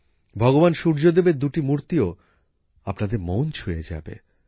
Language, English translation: Bengali, Two idols of Bhagwan Surya Dev will also enthrall you